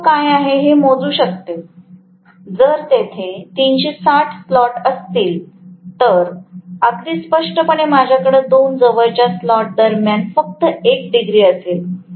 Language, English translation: Marathi, I can calculate what is the, if there are 360 slots, very clearly I am going to have only 1 degree between 2 adjacents slots